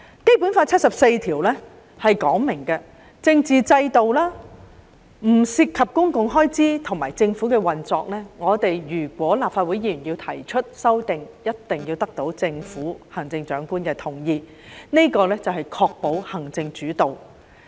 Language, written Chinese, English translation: Cantonese, 《基本法》第七十四條訂明，立法會議員提出的法律草案不得涉及政治制度、公共開支或政府運作，否則必須得到行政長官的同意，這是要確保行政主導。, Article 74 of the Basic Law provides that Members of the Legislative Council may not introduce bills which are related to political structure public expenditure or the operation of the Government; otherwise they are required to obtain the written consent of the Chief Executive before they can introduce such bills . The purpose is to ensure an executive - led government